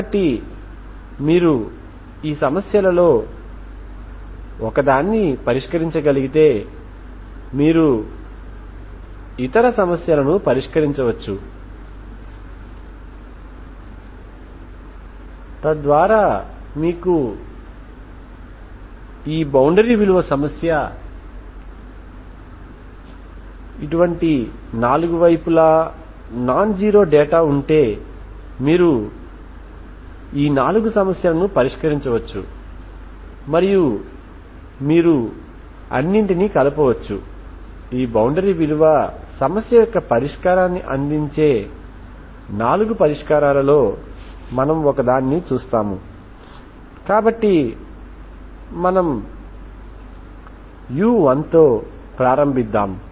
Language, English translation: Telugu, So if you can solve one of this problems then one problem you solve and similarly you can work out other problems so that if you are given any problem like this boundary value problem with 4 sides are non zero data then you can by solving this 4 problems, you can give this and then sum it up